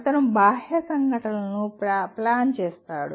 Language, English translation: Telugu, He plans external events